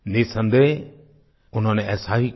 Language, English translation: Hindi, Undoubtedly, she did so